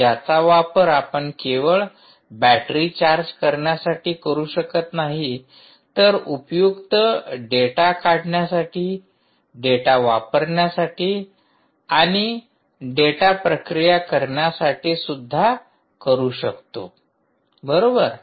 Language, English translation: Marathi, ah, not only for charging the battery, but for also taking the data out for and for processing the data